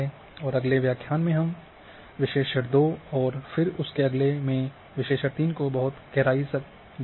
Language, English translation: Hindi, And in next lecture we will be going much deeper into analysis 2 and then next analysis 3